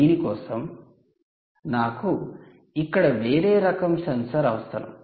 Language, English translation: Telugu, so you need a different type of sensor here